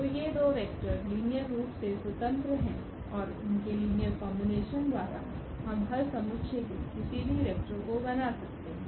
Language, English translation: Hindi, So, these two vectors are linearly independent and their linear combination we can generate any vector of the solution set